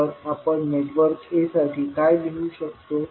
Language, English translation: Marathi, So, what we can write for network a